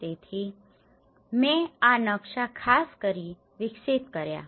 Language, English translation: Gujarati, So, I have developed these maps especially